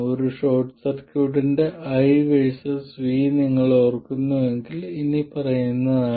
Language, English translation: Malayalam, If you remember the I versus V of a short circuit is as follows